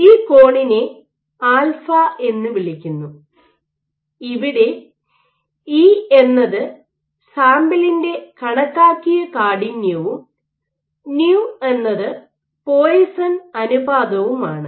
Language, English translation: Malayalam, So, this angle is called alpha, here E is the estimated stiffness of the sample and nu is the Poisson’s ratio, F and delta